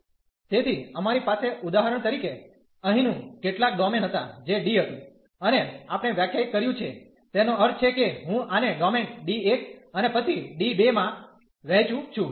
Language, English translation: Gujarati, So, we had for example the some domain here, which was D and we have defined I mean divided this into the domain D 1 and then D 2